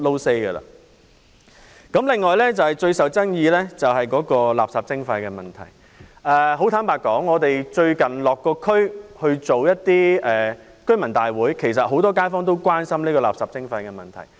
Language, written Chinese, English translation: Cantonese, 此外，關於最受爭議的垃圾徵費問題，很坦白說，我們最近曾落區舉行居民大會，知道其實很多街坊也關心這問題。, In addition regarding the greatest controversy over municipal solid waste charging frankly speaking we have recently held residents meetings in local districts and are aware that many residents have grave concerns over the issue